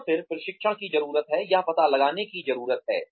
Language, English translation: Hindi, And then, the training needs, need to be figured out